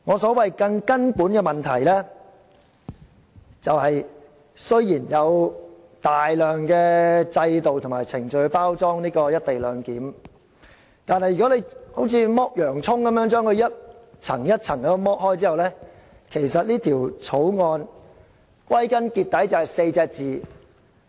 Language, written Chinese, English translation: Cantonese, 雖然政府用大量的制度及程序來包裝"一地兩檢"的安排，但如果我們像剝洋蔥般把《條例草案》逐層剝開，便會發現只有"黨大於法 "4 個字。, The Government has packaged the co - location arrangement with many systems and procedures but if we tackle the Bill like peeling an onion we will eventually find that the ruling party is superior to the law